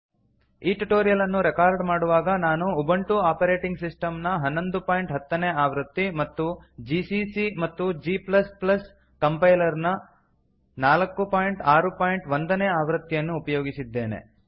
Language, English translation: Kannada, To record this tutorial, I am using, Ubuntu Operating System version 11.10 gcc and g++ Compiler version 4.6.1